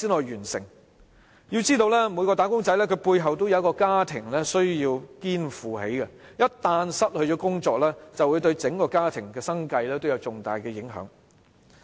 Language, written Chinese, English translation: Cantonese, 要知道每名"打工仔"背後也有一個家庭需要肩負，一旦失去工作便會對整個家庭的生計造成重大影響。, We should understand that there is a family burden behind every wage earner . Once he lost his job the living of his whole family will be significantly affected